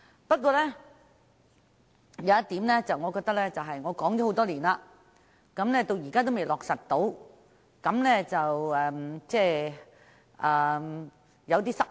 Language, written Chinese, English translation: Cantonese, 不過，還有一項建議我已提出多年，但至今仍未落實，我感到有點失望。, However I am a bit disappointed that the proposal put forward by me for years has yet to be implemented by the Government